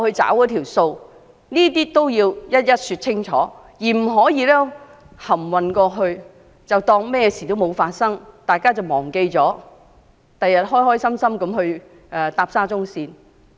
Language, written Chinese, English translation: Cantonese, 這些要一一說清楚，不可蒙混過關，當作甚麼事也沒有發生，日後待大家忘記後便高高興興地乘搭沙中線。, It must offer a clear and full explanation instead of muddling through as if nothing has happened hoping that people will enjoy their ride on SCL once the incident fades from their memory in future